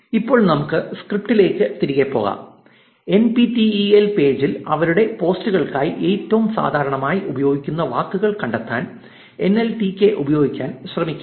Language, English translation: Malayalam, Now, let us go back to our script and try to use this nltk to find the most commonly used words by the NPTEL page for their posts